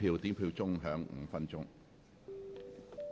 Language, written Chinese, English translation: Cantonese, 表決鐘會響5分鐘。, The division bell will ring for five minutes